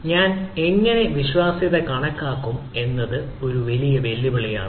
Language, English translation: Malayalam, how do i calculate the trust is a big challenge